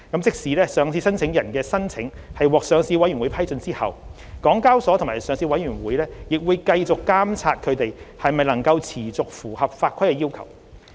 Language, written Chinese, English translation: Cantonese, 即使上市申請人的申請獲上市委員會批准後，港交所及上市委員會仍會繼續監察它們能否持續符合法規的要求。, Even after a listing applicants case has obtained the Listing Committees approval HKEX and the Listing Committee will still monitor whether it can comply with the requirements of the regulations on an ongoing basis